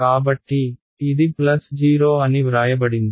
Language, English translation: Telugu, So, this will be written as plus 0